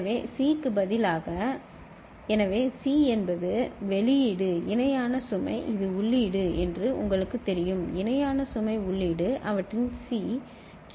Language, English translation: Tamil, So, instead of C, so C is the output parallel load you know this is input, parallel load input was their C QC